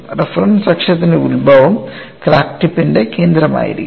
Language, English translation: Malayalam, Origin of the reference axis would be the center of the crack tip